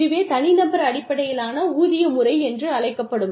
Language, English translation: Tamil, That is the individual based pay system